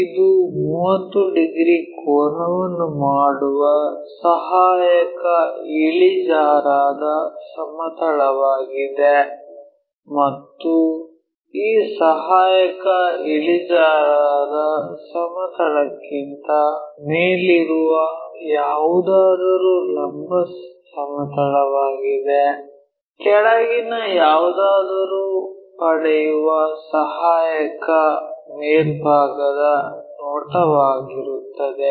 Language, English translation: Kannada, This is the auxiliary inclined plane which is making an angle of 30 degrees and anything above this auxiliary inclined plane is vertical plane, anything below is auxiliary top view we will get